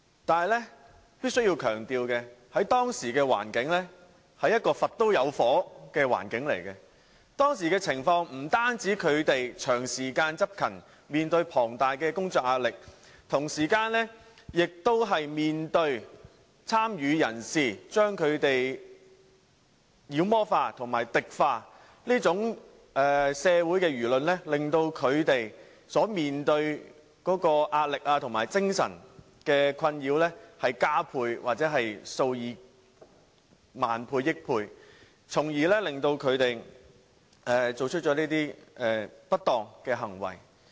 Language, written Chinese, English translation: Cantonese, 可是，我必須強調，在當時的環境——一個"佛都有火"的環境——他們不單長時間執勤，面對龐大工作壓力，同時亦面對參與人士把他們妖魔化和敵化等社會言論，令他們所面對的壓力和精神困擾加倍或數以億萬倍，因而作出這些不當行為。, I must emphasize that under the circumstances at the time where even the Buddha would be infuriated as the saying goes not only had they been on duty for a prolonged period of time they were also facing huge work pressure as well as social discussions in which participants demonized and antagonized them . The pressure and mental distress that they experienced was thus doubled or even multiplied by hundreds of million times causing them to misconduct themselves